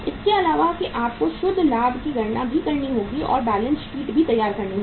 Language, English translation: Hindi, Apart from that you will have to calculate the net profit also and prepare the balance sheet also